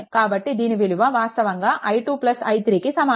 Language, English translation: Telugu, So, it is actually is equal to i 2 plus i 3, right